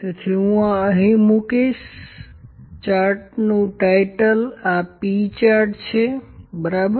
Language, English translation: Gujarati, So, this is I will put the chart title here this is P chart, ok